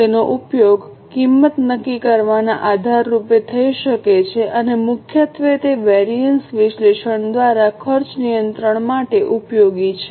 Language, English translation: Gujarati, It may be used as a basis for price fixing and primarily it is useful for cost control through variance analysis